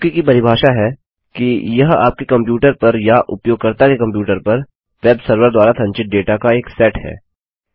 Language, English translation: Hindi, The definition of a cookie is a set of data stored on your computer or the users computer by the web server